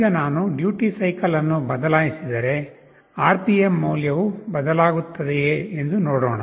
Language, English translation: Kannada, Now let us see if I change the duty cycle does the RPM value changes, let me see this